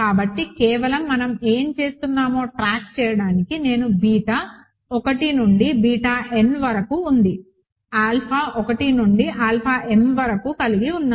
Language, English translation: Telugu, So, just to simply keep track of what we are doing, I have beta 1 through beta n here alpha 1 through alpha m here, right